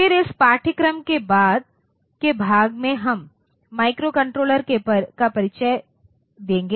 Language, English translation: Hindi, Then in the later part of this course we will introduce microcontroller